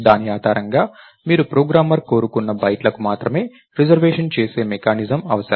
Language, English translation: Telugu, Based on that you need a mechanism by which you make reservation for only as many bytes as the programmer wanted right